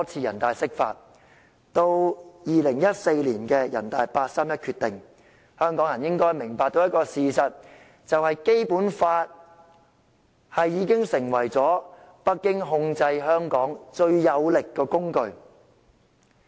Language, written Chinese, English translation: Cantonese, 人大常委會於2014年作出八三一決定後，香港人應該明白到一個事實，就是《基本法》已經成為北京控制香港最有力的工具。, Since the 31 August Decision by NPCSC in 2014 Hong Kong people should have realized the fact that the Basic Law has become the most powerful tool for Beijing to control Hong Kong